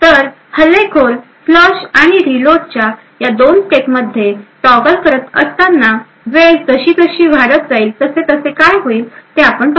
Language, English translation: Marathi, So while the attacker keeps toggling between these 2 steps of flush and reload, we would see what happens as time progresses